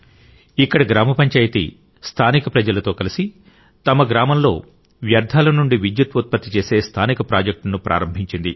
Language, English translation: Telugu, Here the Gram Panchayat along with the local people has started an indigenous project to generate electricity from waste in their village